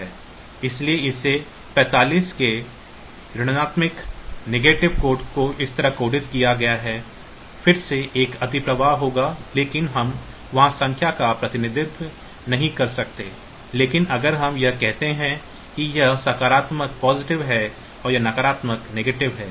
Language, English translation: Hindi, So, this is coded like this negative of 45 coded like this again there will be an overflow, because we cannot represent the number there, but if we do it say this is positive and this is negative